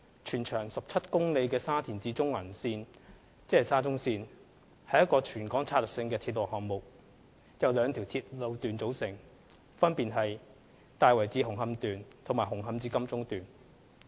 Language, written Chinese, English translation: Cantonese, 全長17公里的沙田至中環線是一個全港策略性的鐵路項目，由兩條路段組成，分別是大圍至紅磡段和紅磡至金鐘段。, The Shatin to Central Link SCL with a total length of 17 kms consists of two sections namely Tai Wai to Hung Hom Section and Hung Hom to Admiralty Section